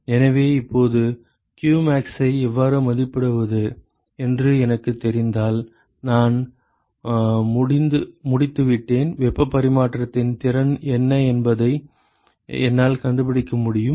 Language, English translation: Tamil, So, now, if I know how to estimate qmax, I am done I can find out what is the efficiency of heat transfer